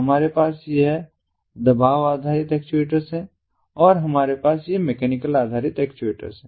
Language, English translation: Hindi, we have this pressure based actuators and we have these mechanical based actuators